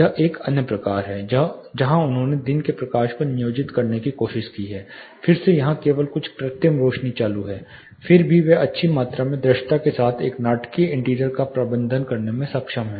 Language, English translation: Hindi, This is another type where, they have try to employ day lighting again here only few of the artificial lights are on still they are able to manage a dramatic interior with good amount of visibility